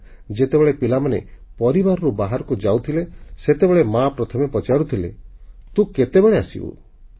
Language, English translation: Odia, There was a time when the children in the family went out to play, the mother would first ask, "When will you come back home